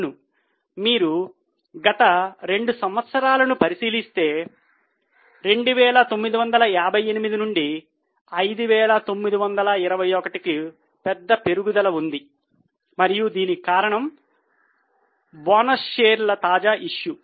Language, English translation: Telugu, Yes, if you look at the last two years there is a major rise from 2958 to 59 to 1 and that is because of the fresh issue of bonus shares